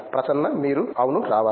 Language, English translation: Telugu, You should come yes